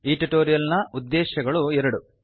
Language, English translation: Kannada, We have two objectives in this tutorial